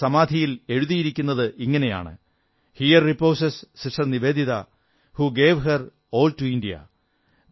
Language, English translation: Malayalam, And, it is inscribed on her grave "Here reposes Sister Nivedita who gave her all to India"